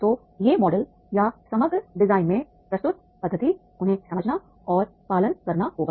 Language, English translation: Hindi, So these models are methodologies presented in the overall design that they have to understand and they have to follow